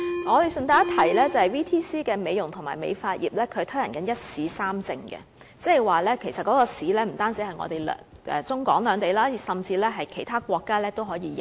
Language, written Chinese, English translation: Cantonese, 我順帶一提，職業訓練局在美容及美髮業推行"一試三證"計劃，即這個考試不單在中港兩地，甚至獲其他國家承認。, By the way VTC has launched a One Examination Multiple Certification System for the beauty and hairdressing industries and the certificates so obtained will be valid in not only the Mainland and Hong Kong but also overseas countries